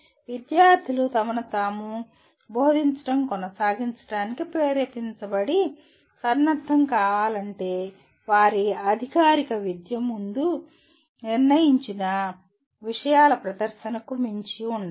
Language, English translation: Telugu, If students are to be motivated and equipped to continue teaching themselves their formal education must go beyond presentation of predetermined content